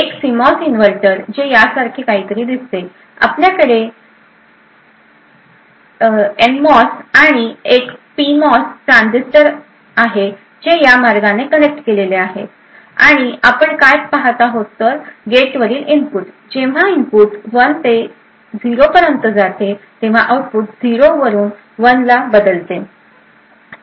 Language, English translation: Marathi, A CMOS inverter look something like this, you have and NMOS and a PMOS transistor which are connected in this manner and what you see is that when the input at the gate, when the input goes from 1 to 0, the output changes from 0 to 1